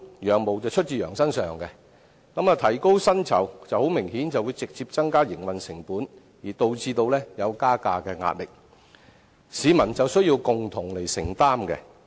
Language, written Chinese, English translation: Cantonese, "羊毛出自羊身上"，提高薪酬明顯會直接增加營運成本，導致加價的壓力，最終也需要由市民共同承擔。, As the fleece comes off the sheep an increase in their salaries will obviously cause a hike in the operational cost direct thus creating pressure for a fare increase which ultimately has to be borne by members of the public together